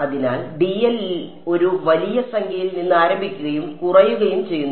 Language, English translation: Malayalam, So, dl is starting from a large number and decreasing